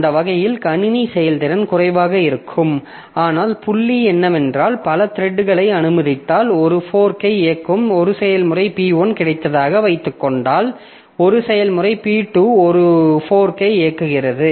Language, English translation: Tamil, But the point is that if we allow multiple threads, then the difficulty that we get is suppose I have got a process P1 which is executing a fork, I have got a process P2 which is also executing a fork